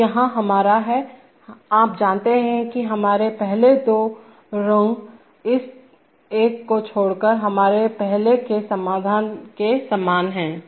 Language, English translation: Hindi, So here is our, you know our earlier the first two rungs are very similar to our earlier solution except for this one